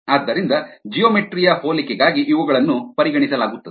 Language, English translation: Kannada, so for geometric similarity, these are the ones that are considered